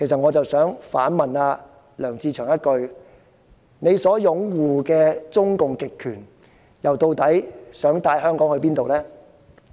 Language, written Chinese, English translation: Cantonese, 我想反問梁志祥議員，他所擁護的中共極權究竟又想帶領香港去哪裏？, May I ask Mr LEUNG Che - cheung where the CCPs authoritarian rule that he supports will lead Hong Kong to?